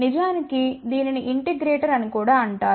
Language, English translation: Telugu, In fact, it is also known as integrator